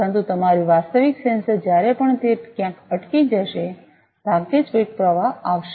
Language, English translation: Gujarati, But your actual sensor whenever it will be hang somewhere, there will hardly any flow